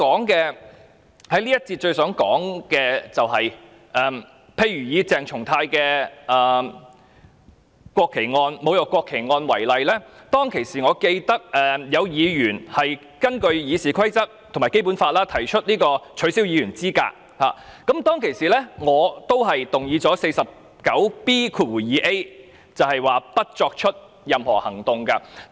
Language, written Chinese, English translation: Cantonese, 這一節我最想說的是，以鄭松泰議員侮辱國旗案為例，我記得當時有議員曾根據《議事規則》及《基本法》提出取消議員資格的議案，而我當時則根據第 49B 條，動議不得再採取任何行動的議案。, In this part of my speech what I most wish to talk about is that in the case of Dr CHENG Chung - tai being charged with desecration of the national flag for instance I recall that some Members had proposed a motion under RoP and the Basic Law proposing the disqualification of the Member from office and I moved at the time a motion under RoP 49B2A that no further action shall be taken